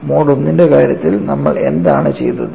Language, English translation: Malayalam, For the case of mode 1, what we did